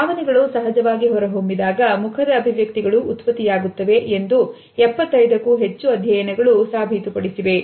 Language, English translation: Kannada, Over 75 studies have demonstrated that these very same facial expressions are produced when emotions are elicited spontaneously